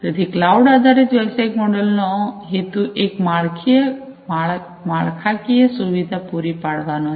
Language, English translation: Gujarati, So, cloud based business models aim at providing an infrastructure